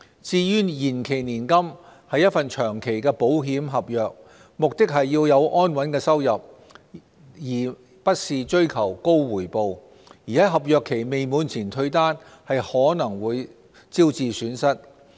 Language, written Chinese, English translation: Cantonese, 至於延期年金是一份長期保險合約，目的是要有安穩的收入，而不是追求高回報；而在合約期未滿前退單，可能會招致損失。, A deferred annuity is a long - term insurance contract . The holder should aim at a stable stream of income instead of pursuing a high return and he may suffer loss if he terminates the contract before it is expired